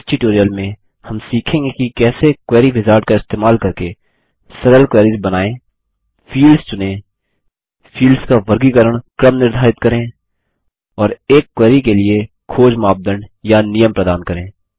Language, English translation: Hindi, In this tutorial, we will learn how to create simple queries using the Query wizard Select fields Set the sorting order of the fields And provide search criteria or conditions for a query Let us first learn what a query is